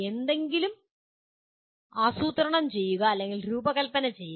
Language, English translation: Malayalam, Plan or designing something